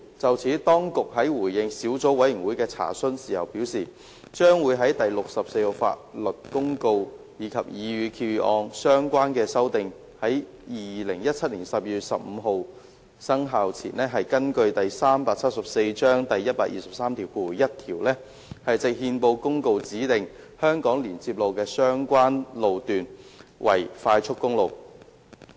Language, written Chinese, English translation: Cantonese, 就此，當局在回應小組委員會的查詢時表示，將會在第64號法律公告及擬議決議案的相關修訂於2017年12月15日生效前，根據第374章第1231條，藉憲報公告指定香港連接路的相關路段為快速公路。, In this connection the Administration has stated in response to the Subcommittees enquiry that it will pursuant to section 1231 of Cap . 374 designate by notice published in the Gazette the relevant section of HKLR as an expressway before the commencement of LN . 64 and the relevant amendments contained in the proposed resolution on 15 December 2017